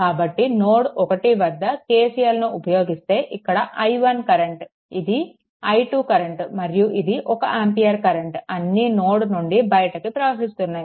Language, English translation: Telugu, So, if you apply KCL at node 1, look this i o[ne] this ah i 1 current and i 2 current and one ampere current all are leaving this node